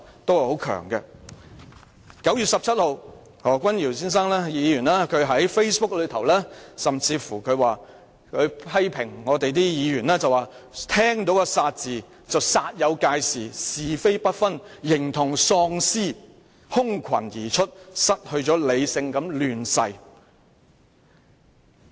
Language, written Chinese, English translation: Cantonese, 在9月19日，何君堯議員甚至在 Facebook 上發帖批評聯署的議員："但偏偏聽了個'殺'字，便煞有介事，是非不分，形同喪屍，空群而出，失去理性地亂噬......, On 19 September Dr Junius HO even published a post on Facebook to criticize those Members who had signed the joint petition But upon hearing the mere word kill they have hastened to make a huge fuss of it